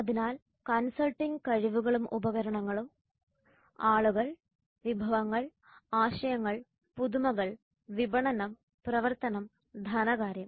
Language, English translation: Malayalam, So consulting skills and tools the people resources, ideas and innovation, marketing operations and finance